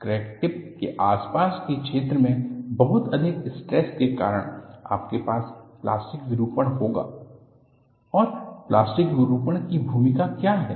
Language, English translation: Hindi, Because of very high stresses near the vicinity of the crack tip, you will have plastic deformation; and what is the role of plastic deformation